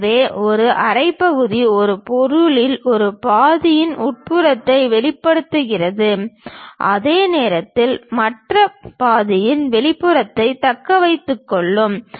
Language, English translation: Tamil, So, a half section exposes the interior of one half of an object while retaining the exterior of the other half